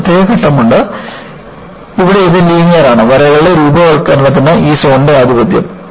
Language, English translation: Malayalam, There is a particular phase, where this is linear; this zone is dominated by the formation of striations